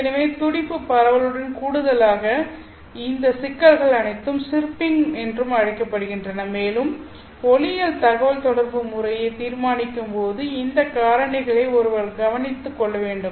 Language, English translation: Tamil, So all these problems do occur in addition to just pulse spreading you also have what is called as chirping and one has to take care of these factors when designing an optical communication system